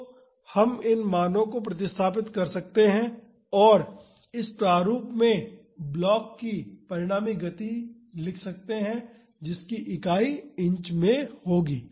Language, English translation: Hindi, So, we can substitute these values and write the resultant motion of the block in this format, that would be in the unit inches